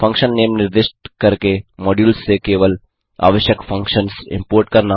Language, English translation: Hindi, Import only the required functions from modules by specifying the function name